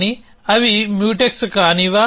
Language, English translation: Telugu, But, are they non Mutex